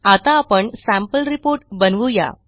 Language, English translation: Marathi, Okay, now, let us create a sample report